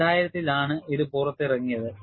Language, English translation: Malayalam, It was released in 2000